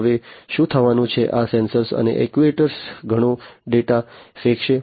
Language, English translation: Gujarati, Now, what is going to happen, these sensors and actuators are going to throw in lot of data